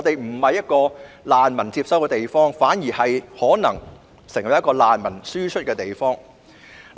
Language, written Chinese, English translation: Cantonese, 這裏已不是接收難民的地方，反之，可能成為輸出難民的地方。, It is no longer a place for receiving refugees . On the contrary it may become a refugee - exporting place